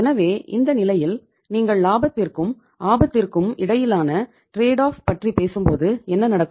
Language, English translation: Tamil, So in this case, when you are talking about the trade off between the profitability and risk, so what will happen